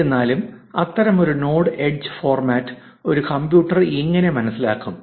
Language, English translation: Malayalam, However, how would a computer understand such a node edge format